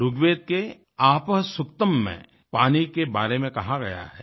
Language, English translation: Hindi, Rigveda'sApahSuktam says this about water